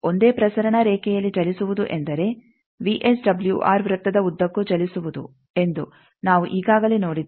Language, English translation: Kannada, We have seen that actually moving on the transmission line means you are moving on that VSWR circle